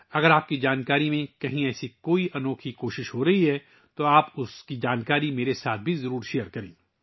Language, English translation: Urdu, If you are aware of any such unique effort being made somewhere, then you must share that information with me as well